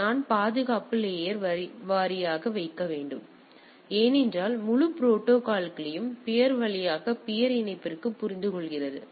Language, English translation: Tamil, So, I I need to put the security at the layer wise because the whole protocol understands via the peer to peer connectivity